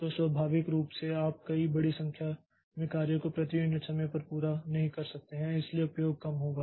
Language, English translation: Hindi, So, naturally you cannot complete a number of jobs per unit times, large number of jobs per unit time